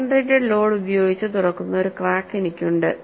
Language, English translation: Malayalam, I have a crack, which is opened by a concentrated load